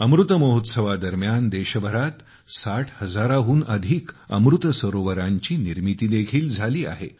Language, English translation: Marathi, During the Amrit Mahotsav, more than 60 thousand Amrit Sarovars have also been created across the country